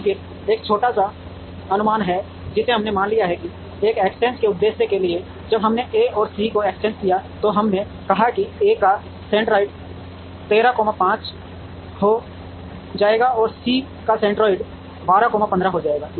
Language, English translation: Hindi, But, then there is a small approximation that we have assumed, for the purpose of this interchange when we interchanged A and C we said A’s centroid will become 13 comma 5, and C’s centroid would become 12 comma 15